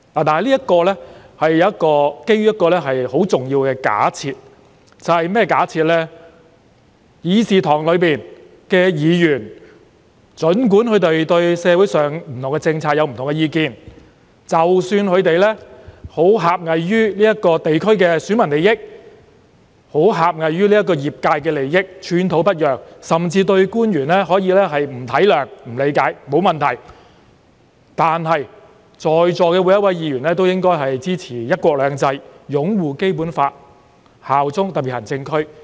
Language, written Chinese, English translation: Cantonese, 不過，這建基於一項很重要的假設，便是儘管議員在會議廳內對社會上各項政策持不同意見，或會狹隘於地區的選民利益或業界利益而寸土不讓，甚或對官員不體諒、不理解，也沒有問題，但在座各位議員皆要支持"一國兩制"、擁護《基本法》、效忠香港特別行政區。, But all this is premised upon a very important assumption the assumption that it is alright even if Members hold dissenting views on various social policies in the Chamber even if they refuse to yield even just the slightest bit due to their narrow consideration for only the interests of voters in their constituencies or those of the industries or even if they refuse to show any compassionate understanding or appreciation for officials but all Members present here must support one country two systems uphold the Basic Law and bear allegiance to the Hong Kong Special Administrative Region HKSAR